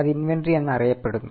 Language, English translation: Malayalam, So, this is what is inventory